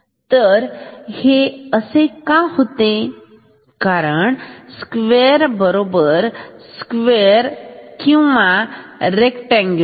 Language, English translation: Marathi, So, this will become a square wave right square or rectangular wave